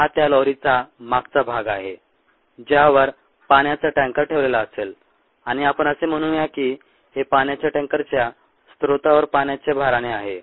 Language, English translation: Marathi, this is the back of the lorry on which sea water tanker rest, and let us say that this ah is the filling of the water tanker with water at ah it's source